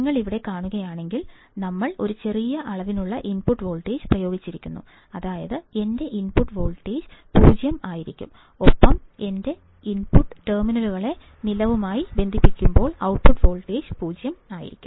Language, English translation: Malayalam, If you see here, we are applying a small amount of input voltage, such that my output voltage will be 0 and when we connect both my input terminals to ground, the output voltage should be 0